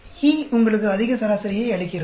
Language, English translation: Tamil, E gives you the highest average